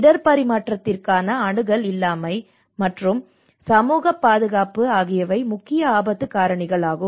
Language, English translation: Tamil, Also lack of access to risk transfer and social protection, so these are the kind of underlying risk drivers